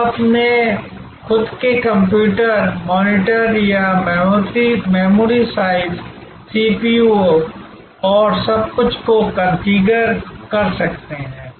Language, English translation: Hindi, You can configure your own computer, the monitor or the memory size, the kind of CPU and everything